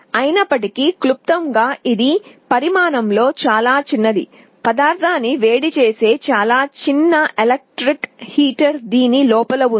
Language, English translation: Telugu, Although it is very small in size, there is a very small electric heater that heats up the material inside